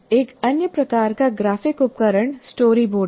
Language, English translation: Hindi, Now another type of graphic tool is what you call storyboard